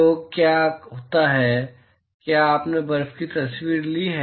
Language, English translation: Hindi, So, what happens is, have you taken pictures of snow